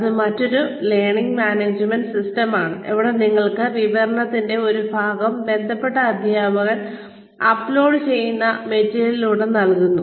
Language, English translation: Malayalam, That is another learning management system, where part of the information is given to you, by the teacher concerned, through the material, that is uploaded